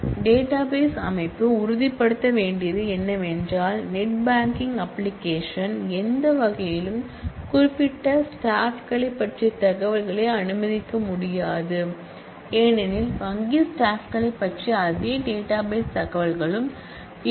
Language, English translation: Tamil, And also what the database system needs to ensure is that a net banking application should in no way be able to access the information about the specific employees, because, in the same database information about the bank employees will also be there